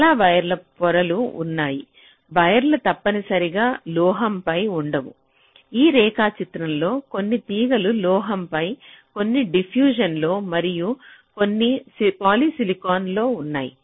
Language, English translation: Telugu, there are many layers of wires because wires are not necessarily on metal, like in this diagram, as you can see, some of the wires are on metal, some are on diffusion and some are on poly silicon